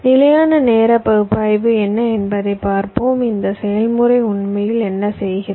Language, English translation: Tamil, let see, ah, what static timing analysis this process actually do